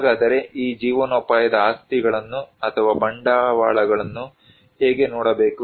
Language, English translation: Kannada, So, how one look into these livelihood assets or capitals